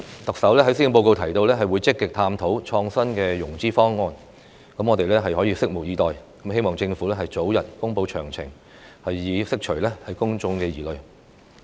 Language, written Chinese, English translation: Cantonese, 特首在施政報告中提到會積極探討創新的融資方案，我們拭目以待，並希望政府早日公布詳情，以釋除公眾疑慮。, The Chief Executive mentioned in the Policy Address that the Government would proactively explore new financing options for the project so we will wait and see and hope that the relevant details will be announced as early as possible to allay public concern